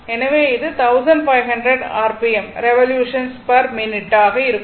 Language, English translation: Tamil, So, it will be 1500 r p m, right revolution per minute